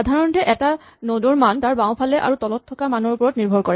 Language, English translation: Assamese, In general a node the value depends on things to it left and below